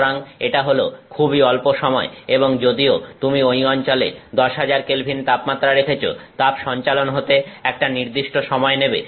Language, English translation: Bengali, So, it is extremely tiny amount of time and even though you are putting 10,000K temperature at that region heat transfer takes some finite amount of time